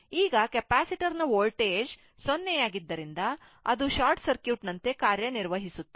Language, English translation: Kannada, Now, with 0 volt across the capacitor, they act like a short circuit